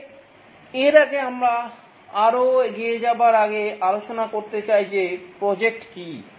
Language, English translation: Bengali, But before that, we like to discuss, before proceeding further, we like to discuss what are projects